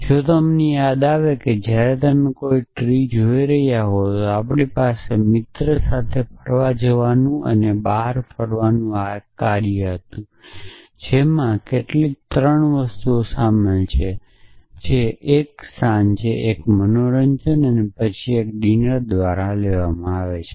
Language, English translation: Gujarati, So, if you recall when you are looking at a goel trees the we had this task of planning and outing with a friend and outing consisted of some 3 things that 1 evening out 1 a entertainment and followed by dinner